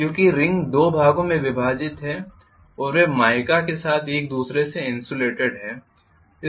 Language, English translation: Hindi, Because the ring is split into 2 portions and they are insulated from each other with mica